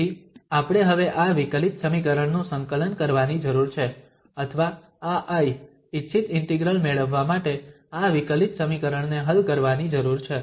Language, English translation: Gujarati, So we need to now differentiate, or integrate this differential equation or solve this differential equation to get this I, the desired integral